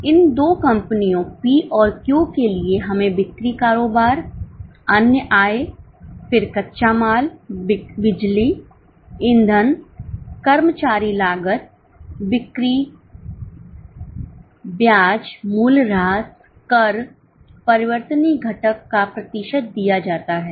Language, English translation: Hindi, So, for these two companies P and Q we have got sales turnover, other income, then raw material, power, fuel, employee costs, selling, interest, depreciation, taxes